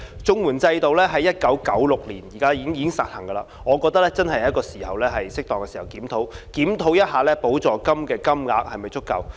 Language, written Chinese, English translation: Cantonese, 綜援制度在1996年已經實行，我覺得現在是適當時候進行檢討，檢視補助金額是否足夠。, The CSSA Scheme was launched as early as in 1996 . In my view now it is the right time to conduct a review and see whether the rates of supplements are sufficient